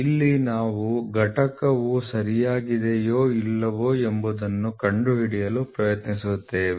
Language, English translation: Kannada, So, here we just try to figure out whether the component is ok or not